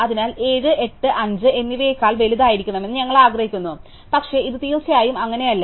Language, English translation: Malayalam, So, we want 7 to be bigger than 8 and 5, but this is of course, not case